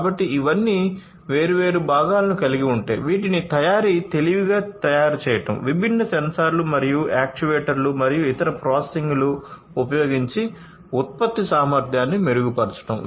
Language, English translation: Telugu, So, all of these could be equipped with different components to make them smarter for manufacturing improved manufacturing improving the efficiency of production using different sensors and actuators and different other processing, etcetera